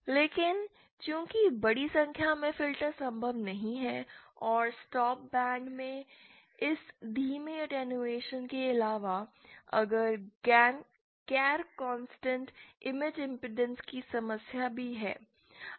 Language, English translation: Hindi, in addition to this slow attenuation in the stop band this is also the problem of non constant image impedances